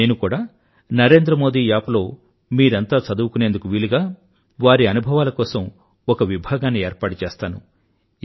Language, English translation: Telugu, I too am making a separate arrangement for their experiences on the Narendra Modi App to ensure that you can read it